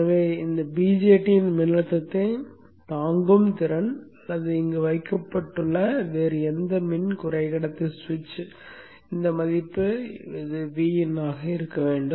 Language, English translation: Tamil, So the voltage withstanding capability of this VJT or any other power semiconductor switch which is placed here should be VIN which is this way